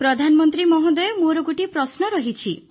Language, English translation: Odia, Prime Minister I too have a question